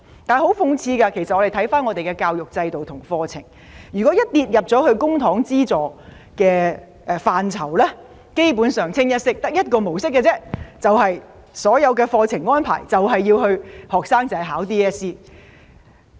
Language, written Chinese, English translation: Cantonese, 很諷刺的是，我們的教育制度和課程如果一落入公帑資助範疇，基本上只有一個模式，就是所有課程安排是為 DSE 而設。, Ironically education systems and programmes in Hong Kong which are publicly - funded basically fall under a single model in which all the curricula are designed for DSE